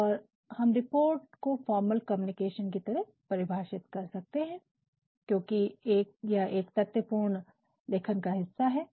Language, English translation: Hindi, And, then we can define report as a formal communication, because a report is a factual piece of writing